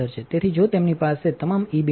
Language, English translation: Gujarati, So, if they have all E beam 1